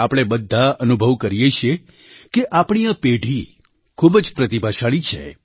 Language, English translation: Gujarati, All of us experience that this generation is extremely talented